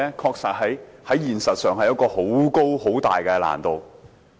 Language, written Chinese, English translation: Cantonese, 現實上確實存在十分大的難度。, In reality it involves enormous difficulties